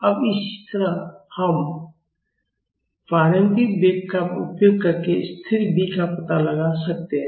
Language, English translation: Hindi, Now, similarly we can find out constant B using the initial velocity